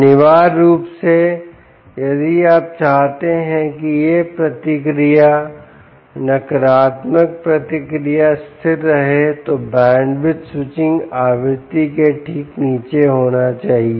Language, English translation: Hindi, essentially, if you want this feedback negative feedback to remain stable, the bandwidth should be below the switching frequency